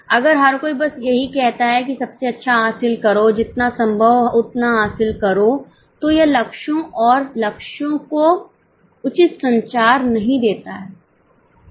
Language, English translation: Hindi, If everybody just says that achieve the best, achieve as much as possible, it doesn't give a proper communication of the goals and targets